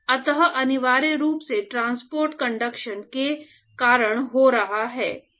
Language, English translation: Hindi, So, essentially the transport is occurring because of conduction